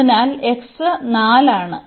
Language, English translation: Malayalam, So, x is 4